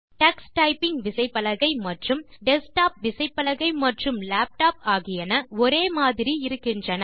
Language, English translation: Tamil, Notice that the Tux Typing keyboard and the keyboards used in desktops and laptops are similar